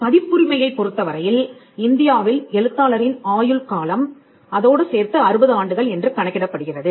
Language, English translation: Tamil, Copyright in India has a term which is computed as life of the author plus 60 years